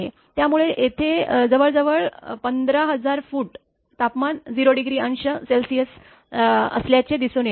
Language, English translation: Marathi, So, nearly here it is showing nearly 15,000 feet that temperature is 0